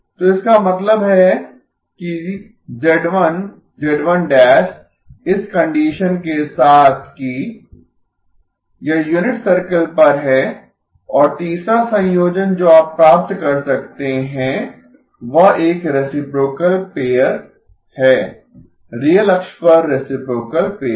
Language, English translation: Hindi, It is on the unit circle, mod z1 equal to 1 and the third combination that you can get is a reciprocal pair, reciprocal pair on the real axis